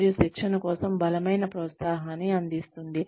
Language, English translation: Telugu, And, provides a strong disincentive for training